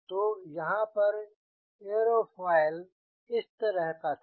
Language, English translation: Hindi, so here, aerofoil was like this